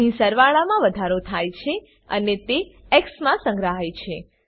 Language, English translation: Gujarati, Here sum is incremented and stored in x